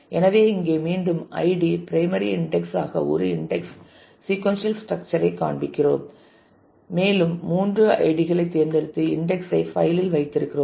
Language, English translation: Tamil, So, here again we are showing a index sequential structure with id being the primary index and we have chosen three of the ids and kept them in the index file